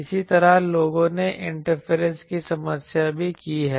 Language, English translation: Hindi, Likewise people have done also the interference problem